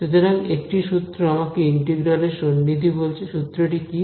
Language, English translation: Bengali, So, instead a formula tells me an approximation of the integral, what is this formula